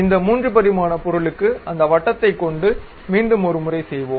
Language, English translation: Tamil, For this 3 dimensional object let us do it once again for that circle